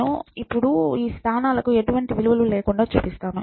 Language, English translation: Telugu, So, I am purposely showing these locations without any values